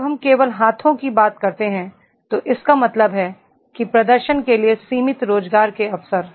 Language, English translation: Hindi, When we talk about only the hands it means that limited job opportunities for the performance